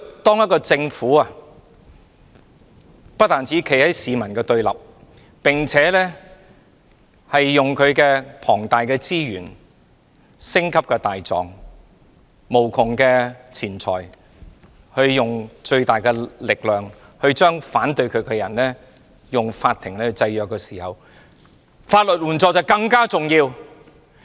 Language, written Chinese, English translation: Cantonese, 當政府不單站在市民的對立面，並且運用其龐大資源、星級大狀、無窮錢財，盡最大力量利用法庭來制約反對它的人時，法援就顯得更為重要。, When the Government stands on the opposite side of the people and uses its enormous resources famous prosecutors immeasurable money and biggest effort to oppress people opposing it at court legal aid becomes something very important to them